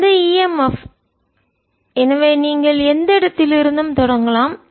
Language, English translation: Tamil, actually i am that e m f to you start from any point